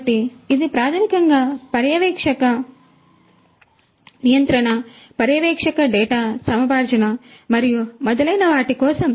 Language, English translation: Telugu, So, it is basically for supervisory control, supervisory data acquisition and so on